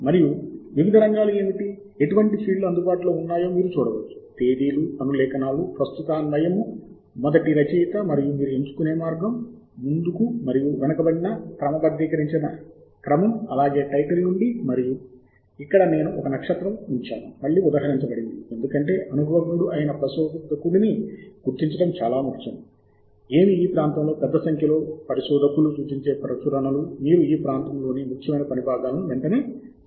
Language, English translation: Telugu, you can actually see that the fields are available in such a way that you can choose from the dates, the citations, the relevance, the first author and both the forward and backward sorted order, as well as from the title, and here I have put a star again is the cited, because it is very important for a novice researcher to identify what are the publications that are referred by a large number of researchers in this area, so that you identify the important pieces of work in this area immediately